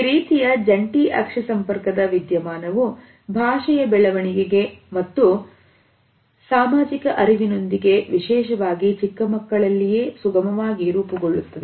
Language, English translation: Kannada, This phenomenon of joint attention facilitates development of language as well as social cognition particularly in young children